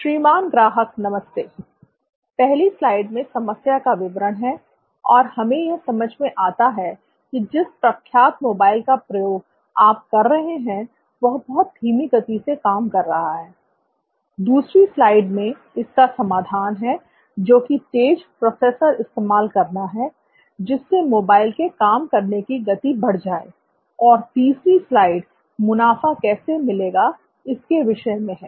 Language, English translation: Hindi, Hello Mr Customer, slide one, we have the problem statement and we understand that the reputed mobile that you are using is running very slow, slide two, the solution is to use a faster processor, which will ultimately increase the speed of the mobile and third slide is the profits, will get profits, thank you